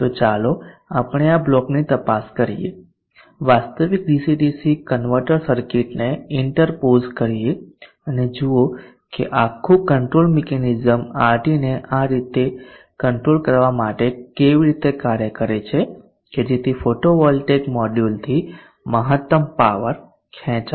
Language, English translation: Gujarati, So that we get an idea of how we would go about doing MPPT, so let us investigate this block interpose actual an actual DC DC converter circuit and see how this whole control mechanism operates to regulate RT in such a way that the maximum power is drawn from the photovoltaic module